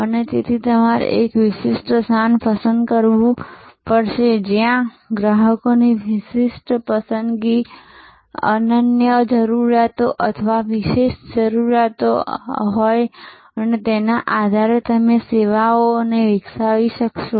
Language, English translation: Gujarati, And so you have to choose a niche, where customers have a distinctive preference, unique needs or special requirements and based on that you will be able to develop services